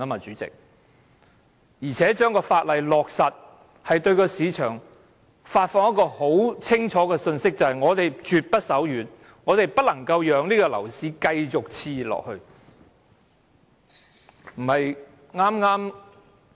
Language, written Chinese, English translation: Cantonese, 再者，通過法案會對市場發放清楚信息，表明政府絕不手軟，絕不讓樓市繼續熾熱下去。, What is more the passage of the Bill will give the market a clear message that the Government is resolute in cooling down the overheated market